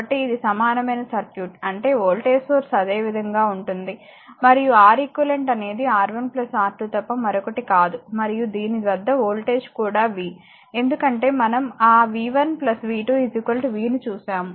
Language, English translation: Telugu, So, this is your equivalent circuit; that means, your voltage source will be there as it is, and Req is nothing but your R 1 plus R 2, and voltage across this is also v, because we have seen that v 1 plus v 2 is equal to v